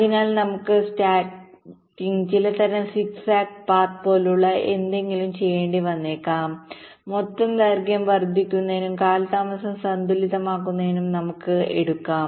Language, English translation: Malayalam, so then we may have to do something called snaking, some kind of zig zag kind of a path we may take so that the total length increases and the delay gets balanced